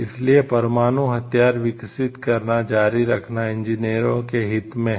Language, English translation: Hindi, So, it is justified for engineers, to continue developing nuclear weapons